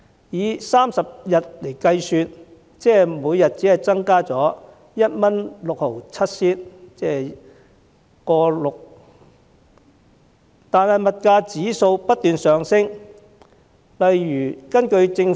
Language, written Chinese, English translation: Cantonese, 以每月30天計算，綜援金額平均每天只增加了 1.67 元，但物價指數卻不斷上升。, Suppose there are 30 days in a month it only represents an additional 1.67 per day in the CSSA payment on average while commodity prices are on the rise